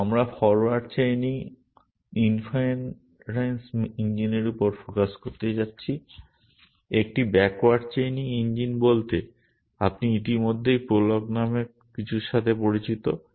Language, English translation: Bengali, And we are going to focus on the forward chaining inference engine, a backward chaining engine is already you are familiar with something called prolog